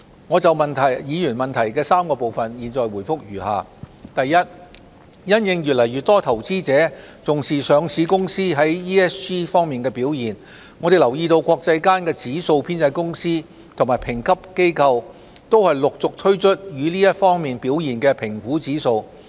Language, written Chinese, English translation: Cantonese, 我們就議員質詢的3個部分答覆如下：一因應越來越多投資者重視上市公司在 ESG 方面的表現，我們留意到國際間的指數編製公司及評級機構都陸續推出這些方面表現的評估指數。, Our response to the three parts of the question is as follows 1 As more and more investors are attaching importance to the performance of listed companies in ESG aspects we understand that index compilers and rating agencies around the world have launched evaluation indices in these aspects